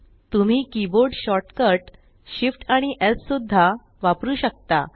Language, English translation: Marathi, You can also use the keyboard shortcut Shift S